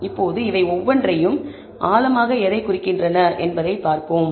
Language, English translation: Tamil, So, now, let us look at each of these and what they mean in depth